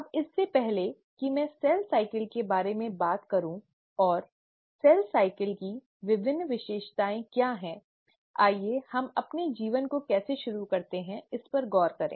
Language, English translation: Hindi, Now before I get into what is cell cycle and what are the different features of cell cycle, let’s start looking at how we start our lives